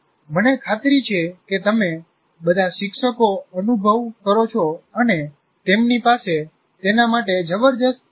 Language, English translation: Gujarati, I'm sure you all teachers do experience that they have tremendous capacity for that